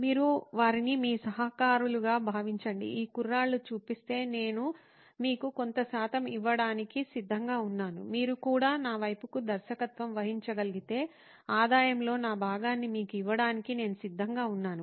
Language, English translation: Telugu, You could treat them as your collaborators and say hey, if these guys show up, I am ready to give you certain percentage, I am ready to give you my portion of the revenue if you can also direct them to me